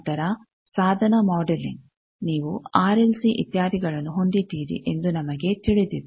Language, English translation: Kannada, Then device modeling we know that you have r, l, c, etcetera